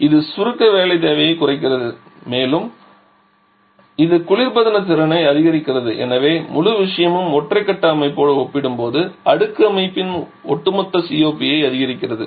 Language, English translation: Tamil, It reduces the compression work requirement and also it increases the refrigerant capacity and therefore this whole thing gives an increase in the overall COP of the cascaded system compared to the equivalent single phase system